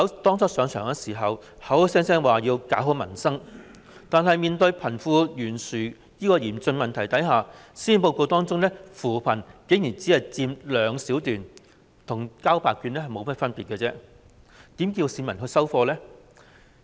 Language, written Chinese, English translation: Cantonese, 當初上任時，特首口口聲聲說要搞好民生，但面對貧富懸殊這個嚴峻問題時，施政報告中有關扶貧的內容卻竟然只佔兩小段，這與交白卷無異，市民又怎會接受呢？, When she took office the Chief Executive kept saying that she would try to improve the peoples livelihood . However in the face of the serious problem of disparity between the rich and the poor the content of poverty alleviation actually only took up two short paragraphs in the Policy Address . This is no different from handing in a blank answer sheet